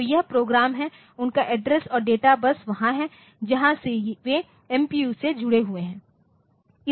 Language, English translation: Hindi, So, this is the program and their address and data buses will be there from which the from the MC MPU they are connected